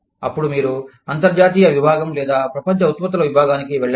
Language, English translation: Telugu, Then, you move on to, international division or global products division